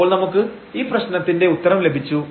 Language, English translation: Malayalam, So, we have the solution of this problem